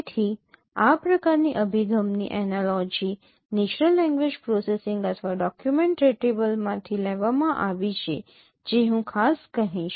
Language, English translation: Gujarati, So the analogy of this kind of approach it came from natural language processing or document retrieval if I say particularly